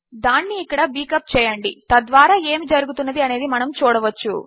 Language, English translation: Telugu, Lets just beak it up here so we can see whats going on